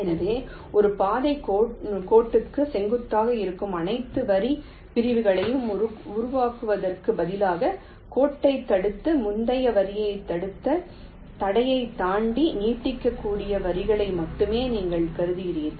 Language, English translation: Tamil, so, instead of generating all line segments that have perpendicular to a trail line, you consider only those lines that can be extended beyond the obstacle which has blocked the line, blocked the preceding line